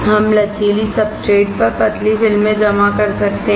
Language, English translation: Hindi, We can deposit thin films on flexible substrates